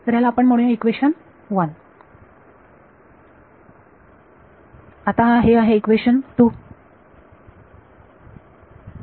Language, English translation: Marathi, So, let us call this equation 1 and this is now equation 2